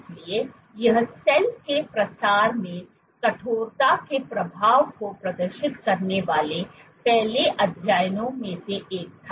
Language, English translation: Hindi, So, this was one of the first studies to demonstrate the effect of stiffness in driving cell spreading